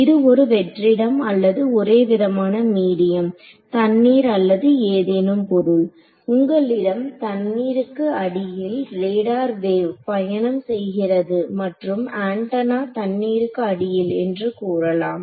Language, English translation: Tamil, It may vacuum or it may be some homogeneous medium like water or something let us say you have a radar wave travelling under water and antenna under water